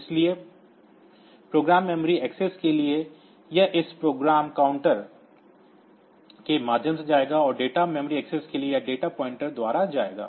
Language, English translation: Hindi, So, DPTR so for program memory axis, it will go via this program counter and for data memory access it will go by this data pointer for a for the external memory axis